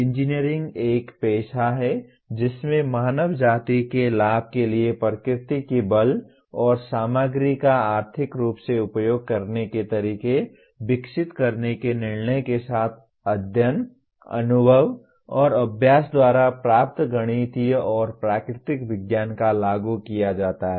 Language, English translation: Hindi, Engineering is a profession in which a knowledge of the mathematical and natural sciences gained by study, experience and practice is applied with judgment to develop ways to utilize economically the materials and forces of nature for the benefit of mankind